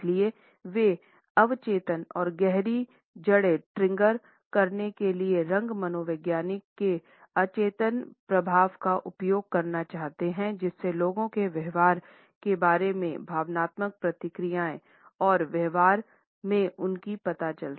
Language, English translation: Hindi, And therefore, they want to use the subliminal effect of color psychology to trigger subconscious and deeply rooted emotional responses in how people think behave and make their choices in the workplace